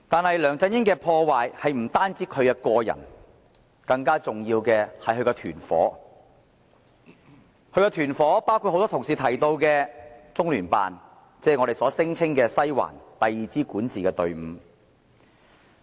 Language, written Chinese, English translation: Cantonese, 然而，梁振英帶來的破壞不只限於個人層面，更重要是他的團伙，包括很多同事也有提及的中聯辦，就是我們聲稱的"西環"，即第二支管治隊伍。, Yet the damage done by LEUNG Chun - ying is not confined to the personal level for the influence of his gang is also significant which includes the Liaison Office of the Central Peoples Government in the Hong Kong Special Administrative Region as mentioned by many Honourable colleagues that is the Western District as we called it and the second administration team